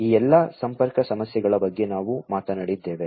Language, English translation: Kannada, So, we have talked about all of these connectivity issues